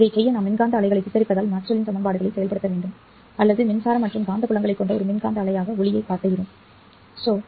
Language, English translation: Tamil, To do that, we need to invoke Maxwell's equations because we picture electromagnetic wave or we picture light as an electromagnetic wave consisting of electric and magnetic fields